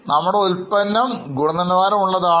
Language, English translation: Malayalam, Our product is of good quality